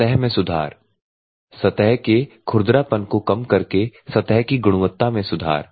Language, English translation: Hindi, So, surface improvement the reducing of surface roughness producing the quality surface